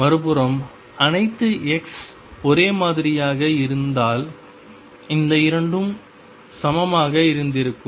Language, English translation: Tamil, On the other hand if all xs were the same then these 2 would have been equal